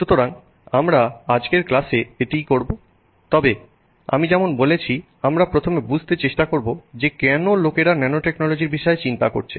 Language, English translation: Bengali, So, this is what we will do in today's class but as I said we will begin by first trying to understand why people have even you know bothered about nanotechnology